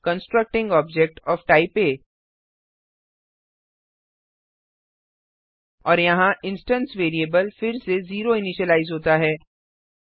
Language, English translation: Hindi, Constructing object of type A And here the instance variable is again initialized to 0